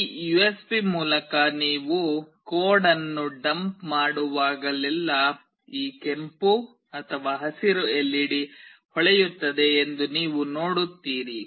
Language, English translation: Kannada, Whenever you will dump a code through this USB, you will see that this red/green LED will glow